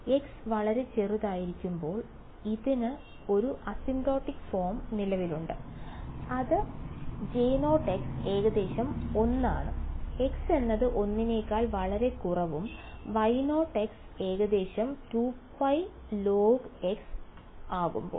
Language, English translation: Malayalam, There exists an asymptotic form for this when x is very small and that is based on the fact that J 0 of x is approximately 1, when x is much much less than 1 and Y 0 of x is approximately 2 by pi log of x